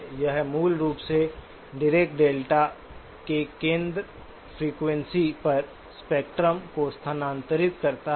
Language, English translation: Hindi, It basically shifts the spectrum to the centre frequency of the Dirac delta